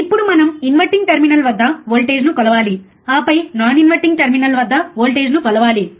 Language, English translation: Telugu, Now we are measuring the voltage at inverting terminal, then we will measure the voltage at non inverting